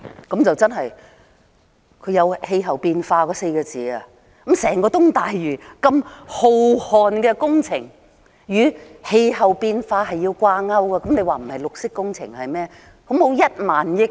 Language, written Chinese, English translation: Cantonese, 局長說出了"氣候變化"這4個字，說整個東大嶼如此浩瀚的工程與氣候變化是要掛鈎的，這還不是綠色工程是甚麼？, The Secretary used the words climate change stressing that the works of such a magnitude in the entire East Lantau would have to be linked with climate change . So what is it if it is not a green project?